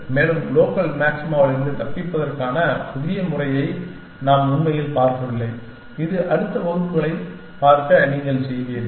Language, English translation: Tamil, And we are not really looked at the new method for escaping local maxima, which you will do in the next towards see classes